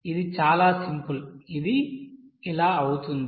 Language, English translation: Telugu, This is very simple that it will be